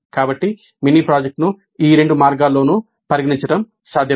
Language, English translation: Telugu, So it is possible to consider the mini project in either of these two ways